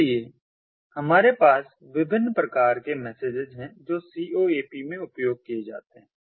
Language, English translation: Hindi, so there are different messaging modes for coap